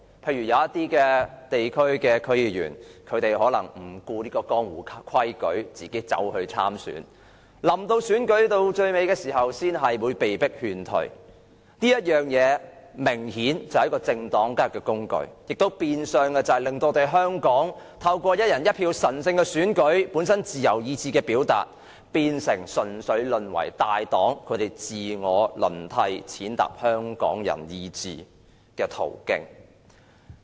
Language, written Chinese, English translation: Cantonese, 例如一些地區的區議員可能不顧江湖規矩，自行參選，到選舉後期才被勸退，被迫退選，這明顯是政黨交易的工具，亦變相令香港"一人一票"的神聖選舉、本身是自由意志的表達，淪為大黨自我輪替、踐踏香港人意志的途徑。, For example some DC members decided to run for the Legislative Council seat in disregard of the conventional practice and only to be persuaded to withdraw at later stage of the election . This is obviously a tool used by political parties for doing deals and as such system is dominated by the big parties the sacred one person one vote election which is an expression of free will has de facto become an avenue for rotation of big parties and trampling on Hong Kong peoples will